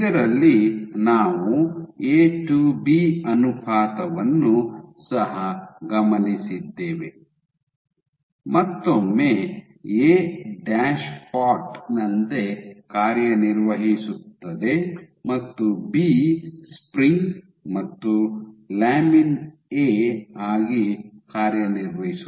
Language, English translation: Kannada, So, in this what we observed also A to B ratio, once again a operates as A dashpot B operates as the spring and lamin A